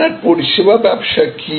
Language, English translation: Bengali, What is your service business